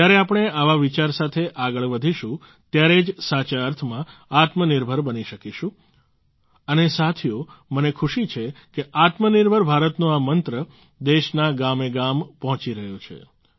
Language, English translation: Gujarati, When we move forward with this thought, only then will we become selfreliant in the truest sense… and friends, I am happy that this mantra of selfreliant India is reaching the villages of the country